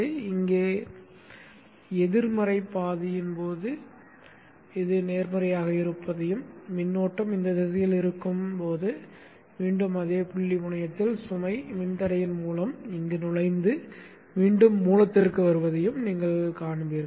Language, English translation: Tamil, This is positive during the negative half and the flow of current will be in this direction and again entering here at the same point terminal through the load resistor and then comes back to the source